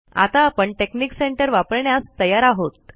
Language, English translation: Marathi, We are now ready to use the texnic center